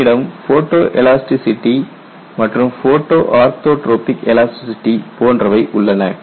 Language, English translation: Tamil, So, you have like photo elasticity you also have photo orthotropic elasticity